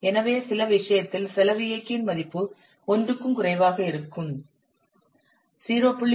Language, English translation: Tamil, So we have to see in that case the value of the cost driver will be less than one